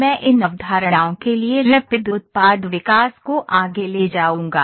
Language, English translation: Hindi, First I will discuss the concept of Rapid Product Development